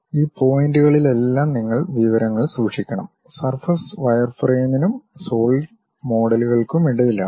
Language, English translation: Malayalam, You have to store information at all these points, surface is in between wireframe and solid models